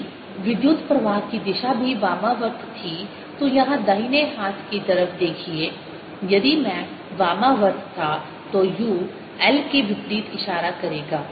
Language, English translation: Hindi, if the current direction was also counter clockwise just look at the right hand side here if i was counterclockwise then u would be pointing opposite to l